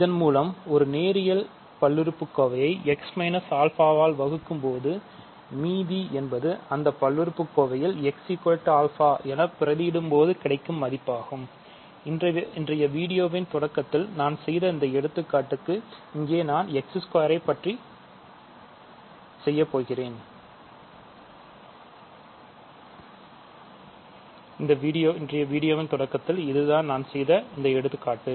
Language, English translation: Tamil, So, this tells me that when I divide by a linear polynomial x minus alpha, the reminder is simply the value of the polynomial when you evaluate x equal to alpha and if you go back to this example that I did in the beginning of today’s video here I am doing x squared